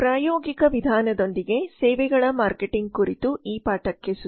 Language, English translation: Kannada, welcome to this lesson on services marketing with a practical approach